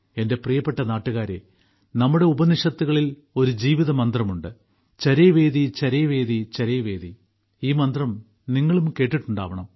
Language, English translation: Malayalam, My dear countrymen, our Upanishads mention about a life mantra 'CharaivetiCharaivetiCharaiveti' you must have heard this mantra too